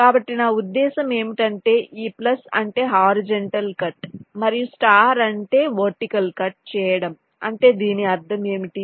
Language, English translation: Telugu, so what i mean is that this plus means a horizontal cut and the star means a vertical cut